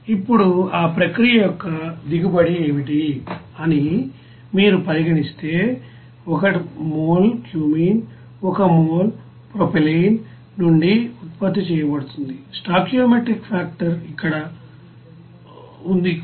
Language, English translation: Telugu, Now, if you consider that what will be the yield of that process, as 1 mole of cumene is produced from 1 mole of propylene, the stoichiometric factor is here 1